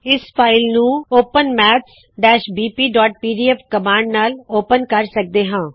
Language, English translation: Punjabi, Let us open it with the command open maths bp.pdf We have the file we want